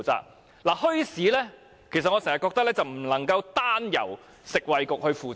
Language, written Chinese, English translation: Cantonese, 我覺得墟市政策不能夠單由食衞局負責。, I think the Bureau should not take up the sole responsibility for the bazaar policy